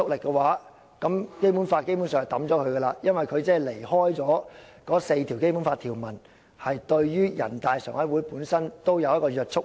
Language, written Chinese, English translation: Cantonese, 她的觀點否定了一個很基本的設定：前述4項《基本法》條文對於人大常委會具約束力。, Her point of view denigrates a very basic presumption the aforesaid four provisions of the Basic Law are binding on NPCSC